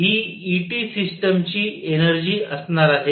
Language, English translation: Marathi, This is going to be the energy of the system E T